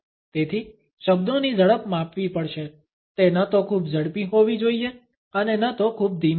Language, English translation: Gujarati, So, the speed of the words has to be measured, it should neither be too fast nor too slow